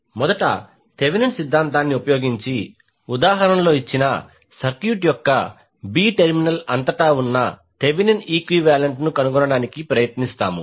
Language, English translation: Telugu, First we will use the Thevenin’s theorem to find the Thevenin equivalent across the terminal a b of the circuit given in the example